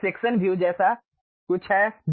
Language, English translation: Hindi, There is something like section view